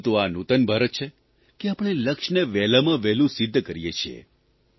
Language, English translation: Gujarati, But this is New India, where we accomplish goals in the quickest time possible